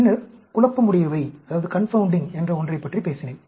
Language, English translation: Tamil, Then, I talked about something called the confounding